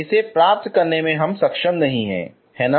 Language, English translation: Hindi, Not able to get it, right